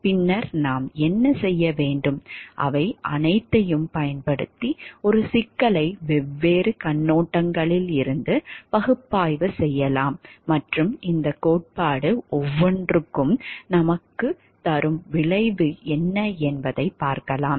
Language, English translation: Tamil, Rather what can we do we can use all of them to analyze a problem from different perspectives and see what is the result that the each of these theory is giving to us